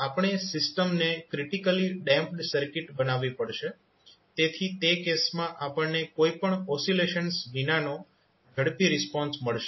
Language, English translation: Gujarati, We have to make the system critically damped circuit, so in that case we will get the fastest response without any oscillations